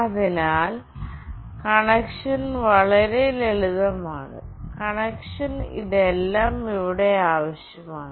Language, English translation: Malayalam, So, the connection is fairly straightforward, this is all required here for the connection